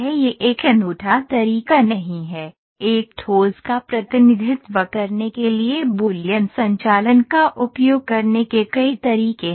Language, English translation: Hindi, There are, it is not a unique way, there are several ways the Boolean operation, you can use several ways to represent a solid